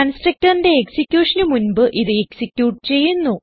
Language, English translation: Malayalam, It executes before the constructors execution